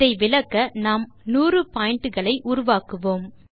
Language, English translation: Tamil, To illustrate this, lets try to generate 100 points